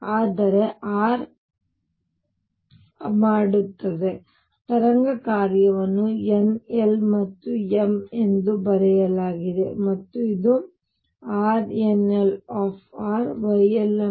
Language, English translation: Kannada, But r does, so the wave function is written as n l and m and this is R nl r Y ln theta and phi